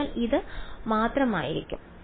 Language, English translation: Malayalam, So, this will just be